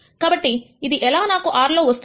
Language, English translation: Telugu, So, how do I get this in R